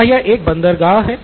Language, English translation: Hindi, Is this a port